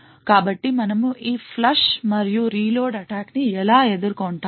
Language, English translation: Telugu, So how we would actually counter this flush and reload attack